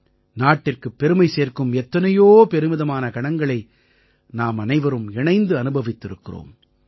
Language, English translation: Tamil, Together, we have experienced many moments of national pride in these years